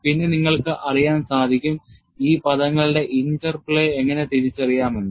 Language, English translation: Malayalam, Then, you will know, how to identify the interplay of these terms